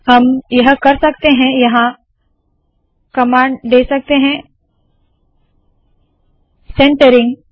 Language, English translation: Hindi, What I can do is give a command here called centering